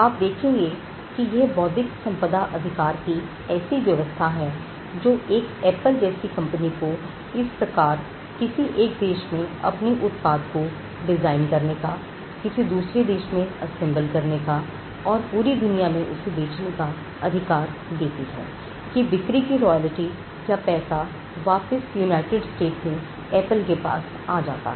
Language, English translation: Hindi, You will find that it is the intellectual property rights regime that allows a company like Apple to design its products in one country and assemble it in another country, and sell it throughout the world; in such a way that the royalty or the money for the sale comes back to Apple in the United States